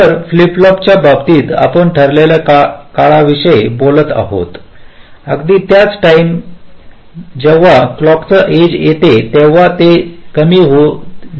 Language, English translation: Marathi, ok, so in case of flip flops, we are talking about precised times, exactly at this time where the clock edge occurs, whatever is the input